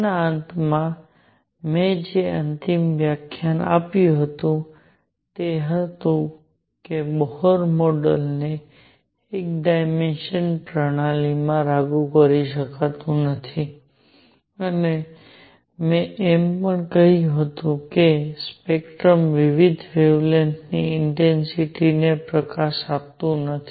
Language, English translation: Gujarati, At the end of that, the final lecture I had said that Bohr model cannot be applied to one dimensional systems and also I had said that it did not give the intensities of various wavelengths light in the spectrum